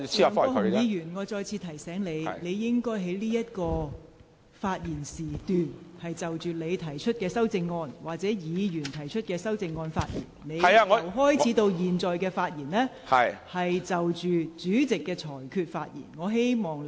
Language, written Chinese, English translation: Cantonese, 梁國雄議員，我再次提醒你，你現在應就你或其他議員提出的修正案發言，但你由開始發言至今，一直就主席的裁決發表議論。, Mr LEUNG Kwok - hung I remind you once again that you should speak on the amendments moved by you or by other Members yet since you have started speaking you have been commenting on the Presidents ruling